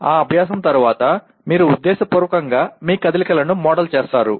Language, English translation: Telugu, Then after that practice, you deliberately model that model your movements